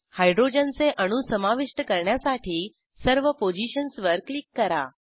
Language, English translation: Marathi, Click on all the positions to add hydrogen atoms